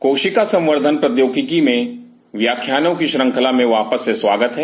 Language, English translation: Hindi, Welcome back to the lecture series in Cell Cultural Technologies